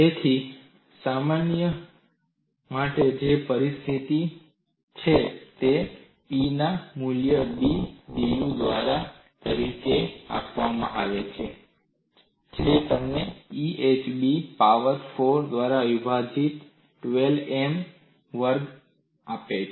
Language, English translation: Gujarati, So, for this problem which is a mode 3 situation, the value of G is given as 1 by B dU by da; that gives you 12 M square divided by EhB power 4